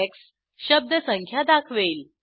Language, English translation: Marathi, $ x will give the word count